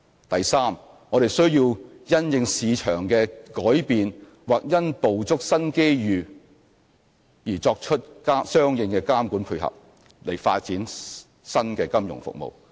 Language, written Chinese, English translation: Cantonese, 第三，我們需要因應市場的改變或因捕捉新機遇而作出相應的監管配合，以發展新的金融服務。, Thirdly corresponding regulatory efforts will have to be made in response to market changes or the need to grasp new opportunities so as to develop new financial services